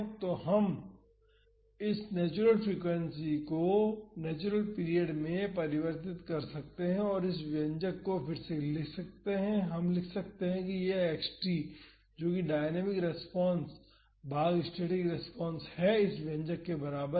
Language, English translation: Hindi, So, we can convert this natural frequency to natural period and rewrite this expression and we can write that this x t that is dynamic response divided by the static response is equal to this expression